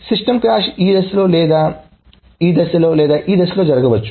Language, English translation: Telugu, Now the system crash may happen at this stage or this stage or this stage